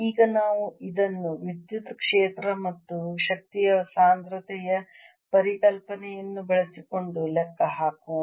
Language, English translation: Kannada, let us now calculate this using the electric field and the concept of [vocalized noise] energy density